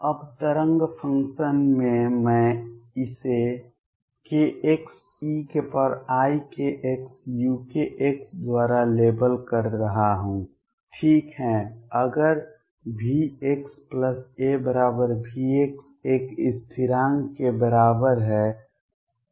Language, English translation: Hindi, Now, in the wave function I am labelling it by k x is e raise to i k x u k x, right if V x plus a equals V x is equal to a constant